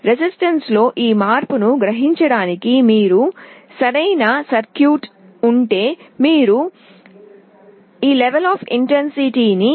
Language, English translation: Telugu, If you have a proper circuitry to sense this change in resistance, you can very faithfully and accurately sense the level of light intensity